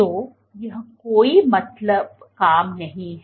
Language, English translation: Hindi, So, this is no mean task